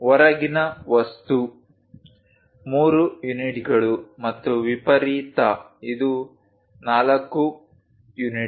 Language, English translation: Kannada, The outside object, 3 units and the extreme one this is 4 units